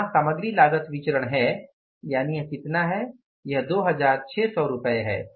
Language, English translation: Hindi, Material cost variance is rupees 2,600 adverse